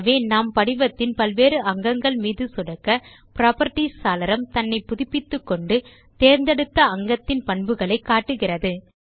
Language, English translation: Tamil, So as we click on various elements on the form, we see that the Properties window refreshes to show the selected elements properties